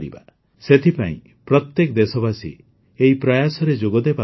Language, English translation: Odia, Hence, every countryman must join in these efforts